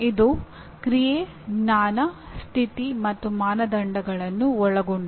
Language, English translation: Kannada, It consists of Action, Knowledge, Condition, and Criterion